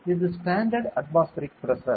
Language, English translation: Tamil, So, this is the standard atmospheric pressure